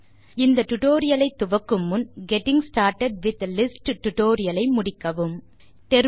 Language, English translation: Tamil, Before beginning this tutorial,we would suggest you to complete the tutorial on Getting started with Lists